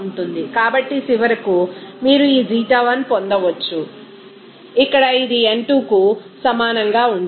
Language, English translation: Telugu, So, finally, you can get that this Xi1 will be is equal to here simply n2